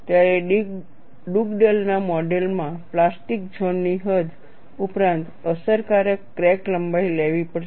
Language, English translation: Gujarati, Finally, when you come to Dugdale’s model, you take the total length of the plastic zone as the correction for crack length